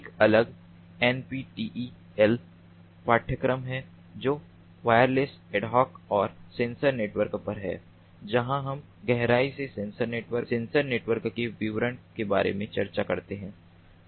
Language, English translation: Hindi, there is a separate ah, ah nptl course which is on wireless ad hoc and sensor networks, where we discuss about the details of sensor networks in ah in a in in depth